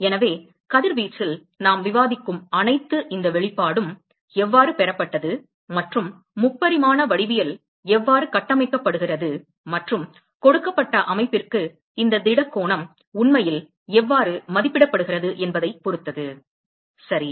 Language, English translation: Tamil, So, everything that we discuss in radiation completely hinges upon how this expression is derived and how the 3 dimensional geometry, is constructed and how this solid angle is actually evaluated for a given system ok